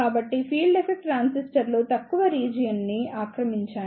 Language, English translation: Telugu, So, field effect transistors occupy relatively less area